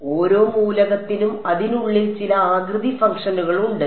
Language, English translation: Malayalam, So, each element then has inside it some shape functions ok